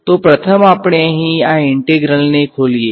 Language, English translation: Gujarati, So, the first let us just open up this integral over here